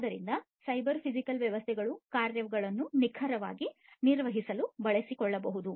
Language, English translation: Kannada, So, cyber physical systems can find use to perform the tasks accurately, you know